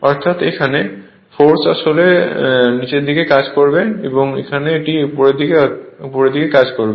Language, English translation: Bengali, Then we force actually acting downwards here and here it here it is upward right